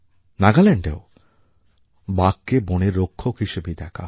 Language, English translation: Bengali, In Nagaland as well, tigers are seen as the forest guardians